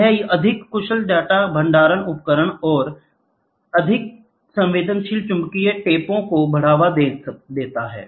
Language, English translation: Hindi, This gives a boost to more efficient data storage devices and more sensitive magnetic tapes